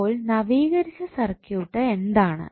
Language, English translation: Malayalam, So, what would be the updated circuit